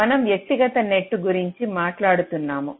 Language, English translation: Telugu, we are talking about the individual nets